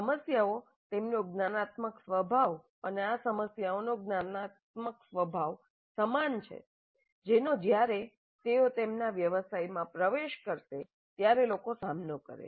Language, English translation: Gujarati, The problems, their cognitive nature is quite similar to the cognitive nature of the actual problems that these people will face when they enter their profession